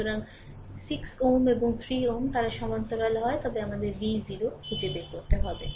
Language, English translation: Bengali, So, 6 ohm and 3 ohm, they are in parallel, but we have to find out v 0